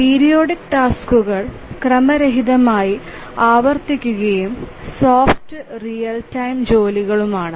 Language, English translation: Malayalam, The a periodic tasks they recurredly randomly and are soft real time tasks